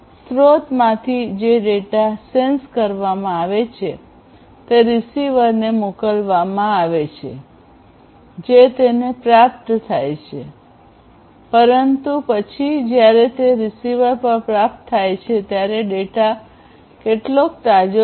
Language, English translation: Gujarati, So, from the source till the receiver the data that is sensed is sent at the receiver it is received, but then when it is received at the receiver how much fresh that data is